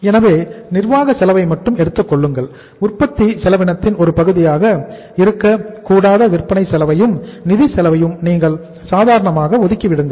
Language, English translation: Tamil, So only take the administrative cost and you simply exclude the selling as well as the financial cost that is not to be the part of the cost of production